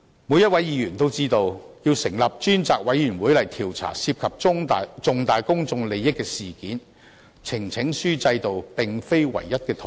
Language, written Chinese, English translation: Cantonese, 每位議員也知道，要成立專責委員會調查涉及重大公眾利益的事件，呈請書制度並非唯一的途徑。, Every Member knows that the petition system is not the only way to set up select committees to inquire into incidents of significant public interests